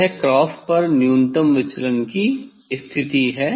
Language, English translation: Hindi, that is why it is a minimum deviation position